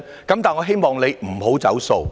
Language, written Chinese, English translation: Cantonese, 然而，我希望你不要"走數"。, Nevertheless I hope you will not renege on this matter